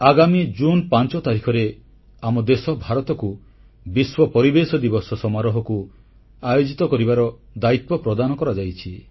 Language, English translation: Odia, My dear countrymen, on the 5th of June, our nation, India will officially host the World Environment Day Celebrations